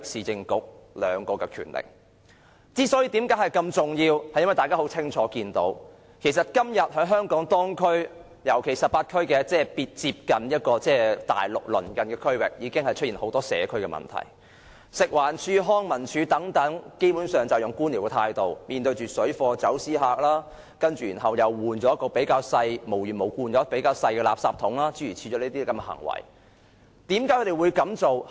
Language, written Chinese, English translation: Cantonese, 這些權力之所以如此重要，是因為大家清楚看到，今天在香港18區已經出現很多社區問題，食物環境衞生署和康樂及文化事務署等基本上採取官僚態度來面對水貨和走私客，又無緣無故更換入口較小的垃圾箱，為何這些部門會這樣行事？, These powers are important because in many of the 18 Districts especially those near the Mainland we have a lot of community problems . The Food and Environmental Hygiene Department and the Leisure and Cultural Services Department basically adopt a bureaucratic attitude towards the problems the parallel traders and smugglers and they even suddenly replace the rubbish bins with smaller ones for no reason . Why do they act like that?